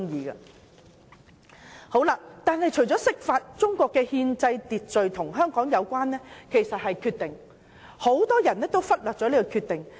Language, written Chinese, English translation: Cantonese, 然而，除了釋法外，中國的憲制秩序中另一項與香港人有關的是"決定"，而很多人也忽略了這些決定。, Nevertheless in addition to interpretations of the Basic Law another point of relevance within the constitutional order of China to Hong Kong people is decisions and many people have neglected such decisions